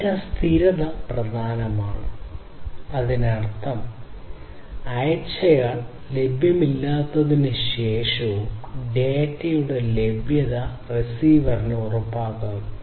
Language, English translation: Malayalam, So, data persistence is important; that means, ensuring the availability of the data to the receiver even after the sender is unavailable